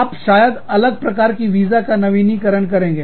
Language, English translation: Hindi, Maybe, you renew a different kind of visa